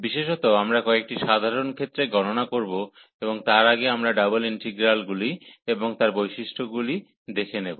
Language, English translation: Bengali, In particular, we will go through some simple cases of evaluation and before that we will introduce the double integrals and their its properties